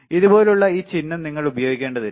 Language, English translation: Malayalam, You do not have to use this symbol write like this